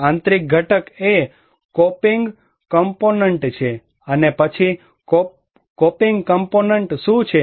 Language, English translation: Gujarati, Internal component is the coping component,, and then what is the coping component